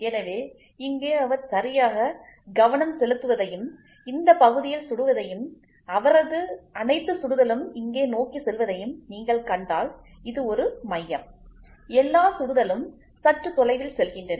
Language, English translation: Tamil, So, here if you see he is exactly focusing and hitting at this portion and all his shots go towards here, this is a center, all the shots go just little away